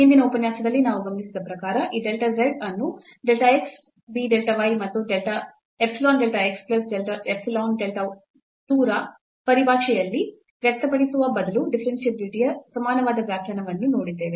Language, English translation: Kannada, So, what we have observed in the previous lecture that the equivalent definition of the differentiability here instead of expressing this delta z in terms of a delta x be delta y and epsilon delta x plus epsilon delta 2 y we can also find out this limit